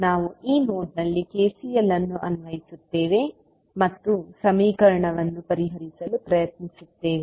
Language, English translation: Kannada, We will apply KCL at this particular node and try to solve the equation